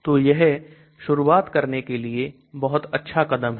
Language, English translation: Hindi, So that is a very good step to start from